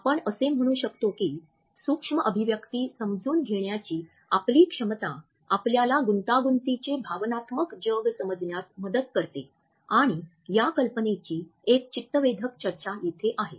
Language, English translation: Marathi, We can say that our capability to understand micro expressions help us to understand the complex emotional world we live in and here is an interesting discussion of this idea